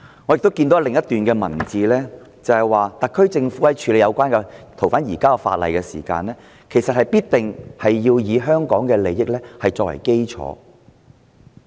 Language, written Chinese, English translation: Cantonese, 我從另一段文字亦看到，特區政府在處理有關的逃犯移交法例時，必定會以香港的利益作為基礎。, I note from another paragraph of the reply that the SAR Government will take the interests of Hong Kong as a basis when it handles ordinances concerning the surrender of fugitive offenders